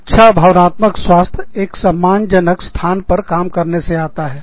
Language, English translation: Hindi, Good emotional health comes from, working in a respectful place